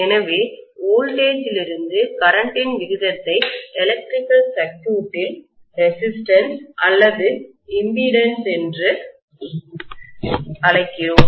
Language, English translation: Tamil, So that means the ratio of the voltage to current which we call as resistance or impedance in an electrical circuit